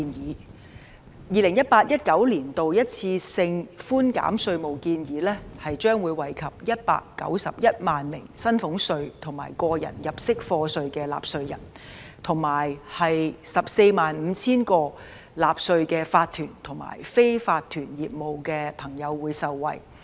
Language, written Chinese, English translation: Cantonese, 在 2018-2019 年度一次性寬減稅務的建議將會惠及191萬名薪俸稅和個人入息課稅的納稅人，以及 145,000 個納稅的法團和非法團業務的朋友。, The proposed one - off tax concession for the 2018 - 2019 year will benefit 1 910 000 taxpayers of salaries tax and tax under personal assessment together with 145 000 tax - paying corporations and unincorporated businesses